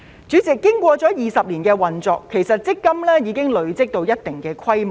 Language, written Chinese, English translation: Cantonese, 主席，經過了20年的運作，強積金已累積到一定規模。, President after 20 years of operation MPF has accumulated to a certain scale